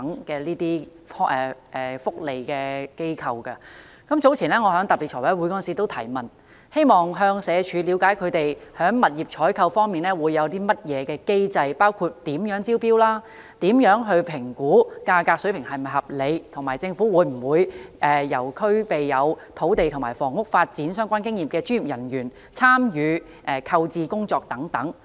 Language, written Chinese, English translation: Cantonese, 早前，我在財務委員會特別會議上提問，希望向社會福利署了解他們在物業採購方面有甚麼機制，包括如何招標、怎樣評估價格水平是否合理，以及政府會否由具有與土地和房屋發展相關經驗的專業人員參與購置工作等。, Earlier on I raised some questions at a special meeting of the Finance Committee about the mechanism adopted by the Social Welfare Department in purchasing those properties . Such questions include how to issue tender invitation how to determine if the price level is reasonable and whether professionals experienced in land and housing development will be allowed to participate in the purchase